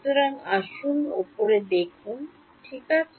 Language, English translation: Bengali, So, let us look at the top view ok